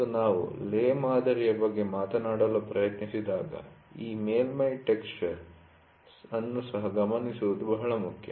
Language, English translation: Kannada, And this surface texture when we try to talk about the lay pattern is also very important to note